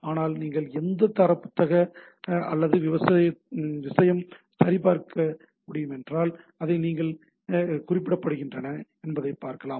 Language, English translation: Tamil, But if you check in any standard book or thing, so you see that how it is represented